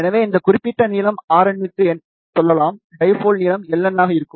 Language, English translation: Tamil, So, let us say for this particular length R n, dipole length will be L n